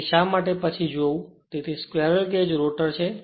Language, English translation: Gujarati, So, why we will see later, so this is squirrel cage rotor